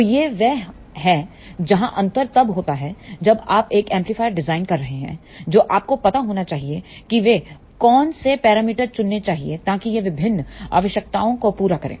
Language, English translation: Hindi, So, this is where the difference comes when you are designing an amplifier you must know, what are the parameters we should choose so that it fulfills different requirements